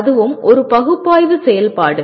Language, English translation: Tamil, That also is a analysis activity